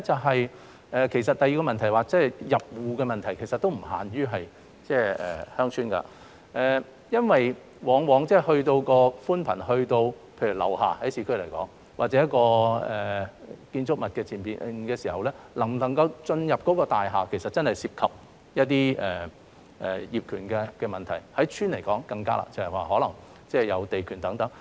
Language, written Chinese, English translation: Cantonese, 第二是入戶的問題，其實這並不限於鄉村，因為在市區方面，寬頻往往到達樓下或者建築物前面時，能否進入大廈其實也涉及到一些業權問題，對鄉村來說便更困難，可能是涉及地權問題等。, Secondly as regards fibre - to - the - home this actually is not only a problem to villages . Because in urban areas the issue of ownership is also involved in the extension of fibre - based networks from downstairs or the entrances of buildings to the households within and the situation is even more difficult to villages as land ownership may be involved